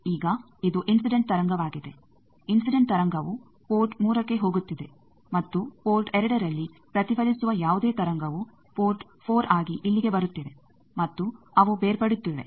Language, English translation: Kannada, Now this is incident wave, incident wave is going to port 3 and whatever is reflected at port 2 that is coming here as port 4 and they are getting separated